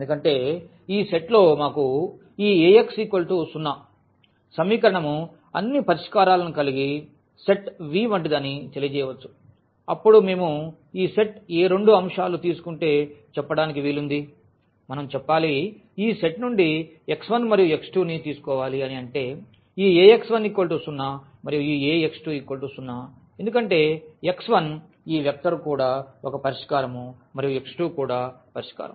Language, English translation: Telugu, Because in this set; so, let us call this as the set V which contains all the solutions of this equation Ax is equal to 0, then if we take any two elements of this set let us say x 1 and also we take x 2 from this set; that means, this Ax 1 is 0 and Ax 2 is also 0 because the x 1 this vector is also a solution and x 2 is also solution